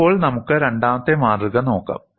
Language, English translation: Malayalam, Now, let us look at the second specimen